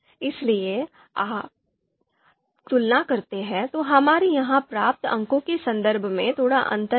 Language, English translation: Hindi, So if you compare, so there is slight slight difference in terms of you know you know scores that we have got here